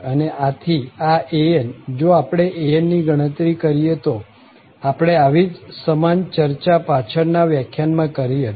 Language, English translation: Gujarati, And therefore, this an, if we compute an, we already had similar discussion in previous lecture